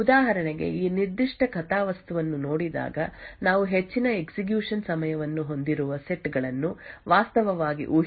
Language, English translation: Kannada, For example looking at this particular plot we can actually infer the sets which had incurred a high execution time